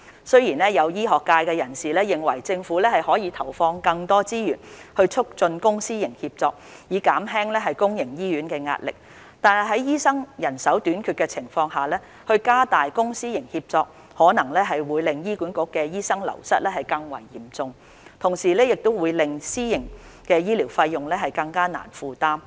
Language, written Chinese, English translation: Cantonese, 雖然有醫學界人士認為政府可投放更多資源來促進公私營協作，以減輕公營醫院的壓力，但在醫生人手短缺的情況下加大公私營協作，可能會令醫管局的醫生流失更為嚴重，同時會令私營醫療的費用更難負擔。, Although members of the medical profession opine that the Government may allocate more resources to promote public - private partnership so as to relieve the pressure on public hospitals given the shortage of doctors enhancing public private partnership may aggravate the wastage of HA doctors and render the fees of private healthcare services more unaffordable